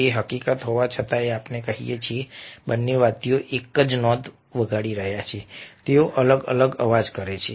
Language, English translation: Gujarati, in spite of the fact that, let say the, both the instruments are playing the same notes, their sound different